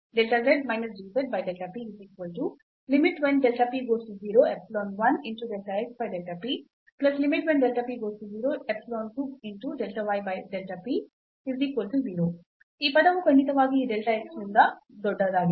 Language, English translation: Kannada, So, this term is certainly bigger than this delta x